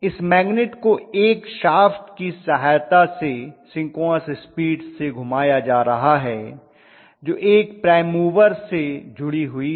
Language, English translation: Hindi, So this magnet is being rotated at synchronous speed with the help of a shaft which is in the middle which is attached to a prime mover